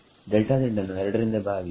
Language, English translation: Kannada, Divide by delta z by 2